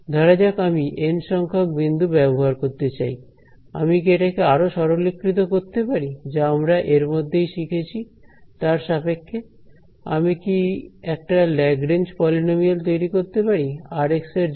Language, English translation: Bengali, I have so, supposing I want to use those N points, can I write this can I simplify this further in terms of what we already learnt, can I can I construct a Lagrange polynomial for r x